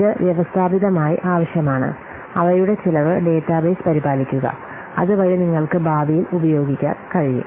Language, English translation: Malayalam, So it needs systematically maintained the cost database so that you can use in future